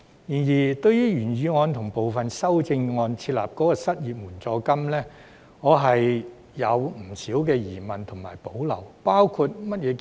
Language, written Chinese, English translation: Cantonese, 然而，對於原議案及部分修正案建議設立失業援助金，我對此有不少疑問及保留。, Nonetheless I have many doubts and reservations about the establishment of an unemployment assistance as proposed in the original motion and some amendments